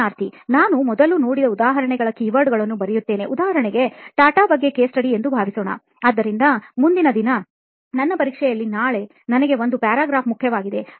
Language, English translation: Kannada, So again I write the keywords of those examples to see, suppose I get an example of case study about TATA, so there is one paragraph which is important for me for tomorrow in my exam next day